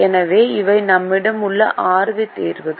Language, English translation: Tamil, so these are the six solutions that we have now